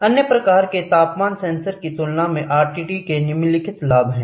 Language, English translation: Hindi, Compared to the other type of temperature sensors, RTD has the following advantage